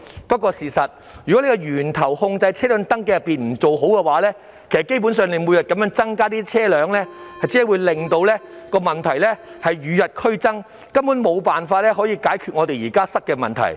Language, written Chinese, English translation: Cantonese, 但是，如果不在源頭上妥善控制車輛的登記，車輛數目每天增加，只會令問題與日俱增，根本無法解決現時塞車的問題。, However if the registration of vehicles is not properly controlled at source the number of vehicles will keep increasing day after day and the problem will only be deteriorating . We will basically be unable to resolve existing traffic congestion problems